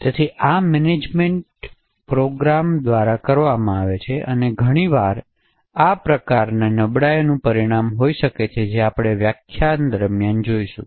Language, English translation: Gujarati, So this management is done by the program and quite often this could actually result in several different types of vulnerabilities as we will see during this lecture